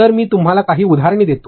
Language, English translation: Marathi, So, let me give you certain examples